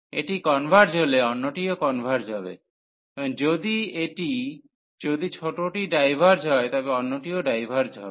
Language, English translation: Bengali, If this converges, the other one will also converge; and if that diverge the smaller one if that diverges, the other one will also diverge